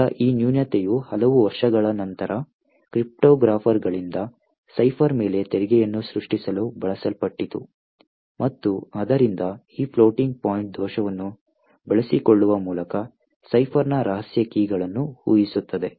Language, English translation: Kannada, Now this particular flaw much in several years later was then exploited by cryptographers to create a tax on ciphers and therefore predict secret keys of the cipher by exploiting this floating point bug